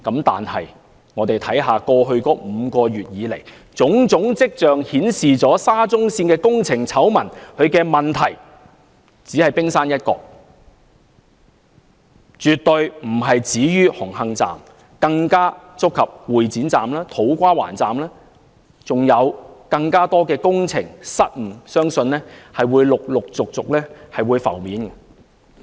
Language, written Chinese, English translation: Cantonese, 但是，過去5個月以來，種種跡象顯示沙中線工程醜聞的問題只是冰山一角，絕對不止於紅磡站，更觸及會展站、土瓜灣站，相信還有更多工程失誤會陸續浮現。, Yet in the past five months there have been signs indicating that the Hung Hom Station is just the tip of the iceberg in the SCL scandal . The problems are not confined to it but will even involve the Exhibition Centre Station and To Kwa Wan Station . I believe more construction blunders will surface one after another